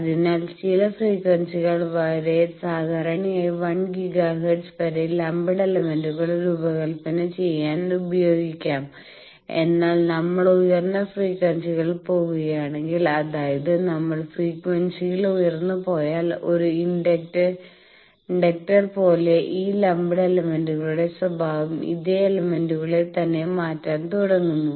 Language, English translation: Malayalam, So, up to certain frequencies typically up to 1 giga hertz lumped elements can be used for designing, but if we go at higher frequencies then these lumped elements their behaviour starts changing the same element, like a inductor if we go higher and higher in frequency and inductor also have some stray capacitances and other things